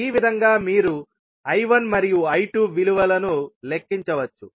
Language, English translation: Telugu, So, this way you can calculate the value of I1 and I2